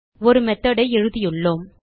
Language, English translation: Tamil, So we have written a method